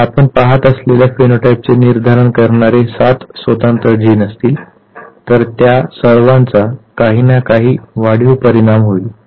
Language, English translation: Marathi, So, if there are 7 separate genes which determines the phenotype that you are looking at and all of them have some incremental effect